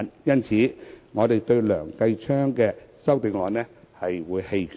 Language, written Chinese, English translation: Cantonese, 因此，對於梁繼昌議員的修正案，我們會棄權。, Therefore we will abstain in the vote on Mr Kenneth LEUNGs amendment